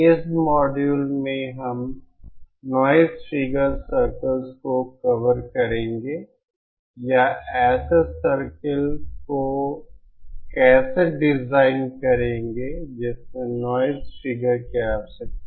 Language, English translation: Hindi, In this module we will be covering the noise figure circles or how to design a circle which has a given requirement of noise figure